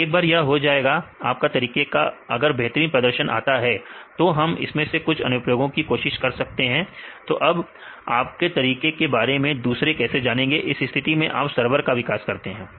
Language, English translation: Hindi, Then once it is done your method is performed the best then we can try about some applications; how do the others know that you have a method, in this case you can develop a server